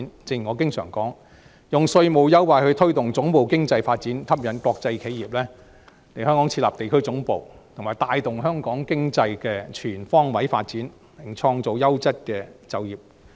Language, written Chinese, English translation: Cantonese, 正如我經常說，我們應利用稅務優惠去推動總部經濟發展，吸引國際企業來香港設立地區總部，以帶動香港經濟全方位發展，並創造優質的就業機會。, As I always say we should make use of tax concessions to promote the development of headquarters economy and attract global enterprises to set up regional headquarters in Hong Kong with a view to giving the impetus to the comprehensive economic development as well as creating quality job opportunities